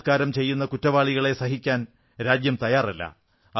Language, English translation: Malayalam, The nation will not tolerate those committing rapes